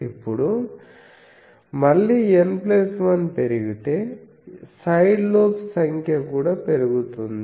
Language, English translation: Telugu, Now, again if N plus 1 increases, the number of side lobes also increases